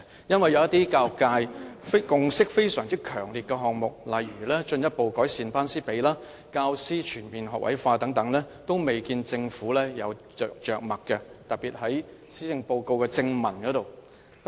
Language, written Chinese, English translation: Cantonese, 因為一些得到教育界強烈共識的項目，例如進一步改善"班師比"、教師全面學位化等，均未見政府有着墨，特別是在施政報告的正文內。, The reason is that at least in the main text of the Policy Address the Government does not devote too much treatment to some issues such as the class - to - teacher ratio and an all - graduate teaching force on which the whole education sector has already reached a strong consensus